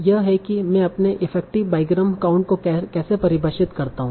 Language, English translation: Hindi, So that's how I define my effective byground count